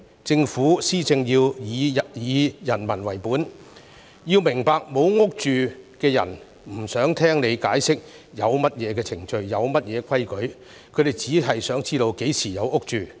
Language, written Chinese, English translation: Cantonese, 政府施政要以人民為本，並要明白"冇屋住"的人不想聽政府解釋有何程序及規矩，他們只想知道何時"有屋住"。, While the Government should be people - oriented in its administration it should also understand that those who cannot afford to purchase properties are not interested in any explanation about rules and procedures . All they want to know is when they can have their own homes